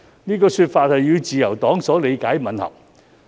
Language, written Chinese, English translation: Cantonese, 此說法與自由黨所理解的吻合。, This definition is in line with LPs understanding